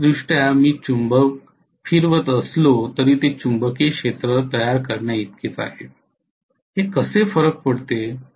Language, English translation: Marathi, So although physically I am rotating the magnet it is equivalent to the electrically creating the revolving magnetic field, how does it matter